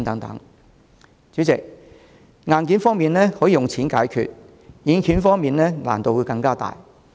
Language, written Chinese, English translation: Cantonese, 代理主席，硬件問題可以用錢解決，但軟件方面則難度更大。, Deputy President while hardware issues can be resolved by money software issues are more difficult to deal with